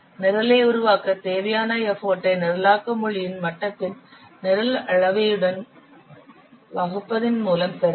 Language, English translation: Tamil, The effort required to develop a program can be obtained by dividing the program volume with the level of the programming language is to develop the code